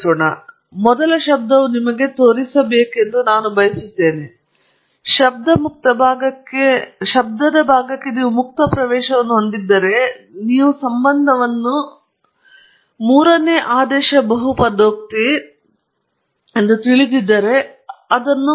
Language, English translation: Kannada, So, the first model I just want to show you, if you had access to the noise free part, and you had and you knew that the relationship is a third order polynomial, then you can… let’s do that here okay